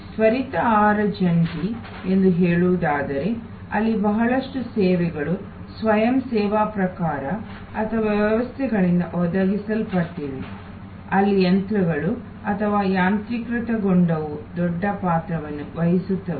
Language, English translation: Kannada, In case of say fast food joint, because a lot of the services there are either of the self service type or provided by systems, where machines or automation play a big part